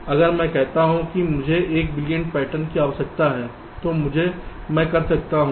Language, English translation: Hindi, if i say that i need one billion patterns, fine, i can do that